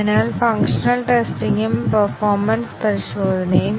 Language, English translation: Malayalam, So, both functional testing and the performance testing